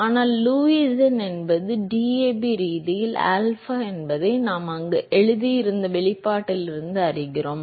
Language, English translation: Tamil, But we also know that Lewis number is alpha by DAB right, from the expression that we have written there